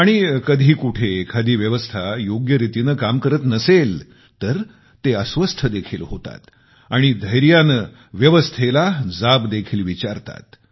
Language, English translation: Marathi, And in the event of the system not responding properly, they get restless and even courageously question the system itself